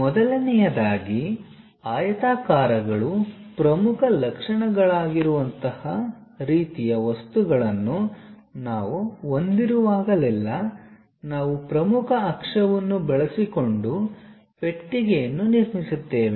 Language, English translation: Kannada, First of all, whenever we have such kind of objects where rectangles are the dominant features we go ahead construct a box, using principal axis